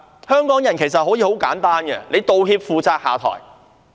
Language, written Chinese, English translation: Cantonese, 香港人其實很簡單，只要求有人道歉、負責、下台。, The Hong Kong people are actually very simple . They only demand that someone should apologize be responsible and step down